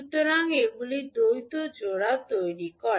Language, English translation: Bengali, So, these create the dual pairs